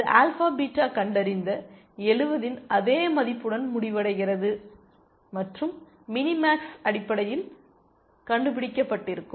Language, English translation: Tamil, Notice, it terminates with the same value of 70 which the alpha beta found and which is of mini max would have found essentially